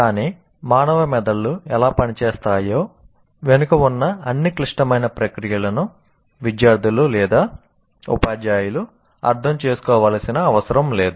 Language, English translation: Telugu, But neither the students or teachers need to understand all the intricate processes behind how human brains work